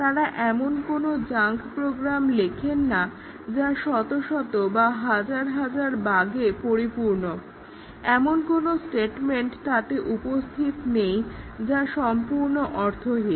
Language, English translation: Bengali, They do not write junk programs which are riddled with hundreds and thousands of bugs and some statements are totally meaningless